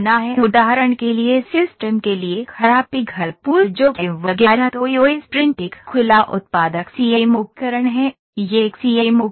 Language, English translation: Hindi, For instance system for bad melt pool exposure etcetera then EOS print is an open a productive CAM tool, this is a CAM tool